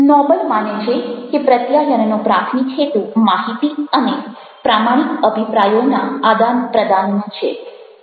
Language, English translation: Gujarati, the noble believes that the primary purpose of communication is the exchange of information and honest opinions